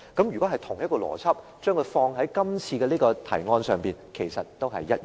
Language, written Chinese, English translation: Cantonese, 如果將同一個邏輯放在今次的提案上，其實也是一樣的。, The situation is similar if we apply the same logic to this motion